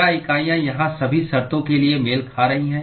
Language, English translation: Hindi, Are the units matching for all the terms here